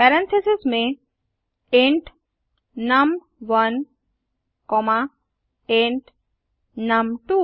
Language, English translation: Hindi, Within parentheses int num1 comma int num2